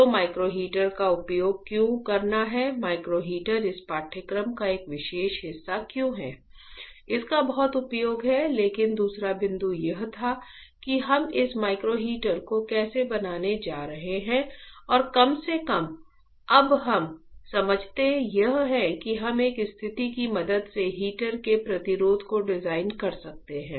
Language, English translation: Hindi, So, there is a lot of application of why to use the micro heater, why do understand the micro heater is a part of this course right, but the second point was that how we are going to fabricate this micro heater right and at least we understand right now is that we can design the resistance of the heater with the help of a situation right